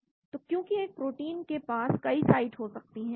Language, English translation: Hindi, So because a protein can have many sites